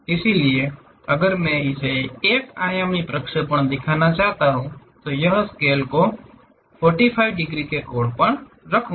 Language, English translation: Hindi, So, one dimensional projection if I want to really show it, this scale is at 45 degrees angle